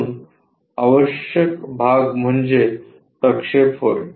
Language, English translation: Marathi, So, the essential parts are the projections